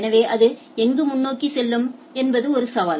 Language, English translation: Tamil, So, where it will forward so that is a challenge